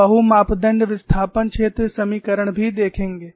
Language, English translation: Hindi, We would also see the multi parameter displacement field equation